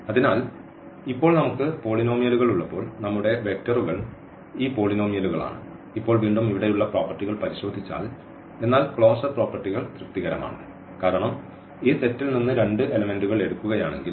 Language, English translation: Malayalam, So, in this case when we have polynomials now so, our vectors are these polynomials and now, again if we look at the closer properties here, but the closure properties are satisfied because if we take any two elements from this set